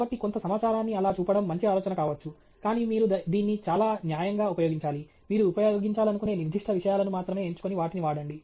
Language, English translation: Telugu, So, flashing some information may be a good idea, but you have to use this very judiciously, pick only those specific things that you want to use and use them